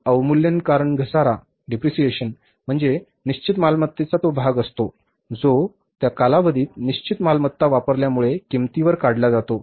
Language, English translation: Marathi, Depreciation because depreciation is that part of the fixed assets which is say the cost because of the use of the fixed assets for that given period of time